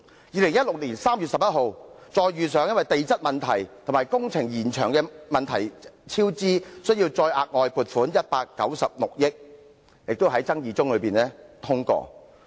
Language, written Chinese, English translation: Cantonese, 2016年3月11日，又因地質問題及工程延長引致超支而需再額外撥款196億元，這亦是在爭議聲中通過。, On 11 March 2016 an additional funding of 19.6 billion was also in the midst of controversies approved to make up for the overruns caused by geological problems and prolonged works